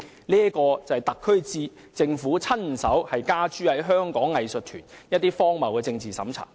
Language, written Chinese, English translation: Cantonese, 這就是特區政府親手加諸於香港藝術團體的荒謬政治審查。, This is absurd political screening imposed by the SAR Government itself on Hong Kongs arts groups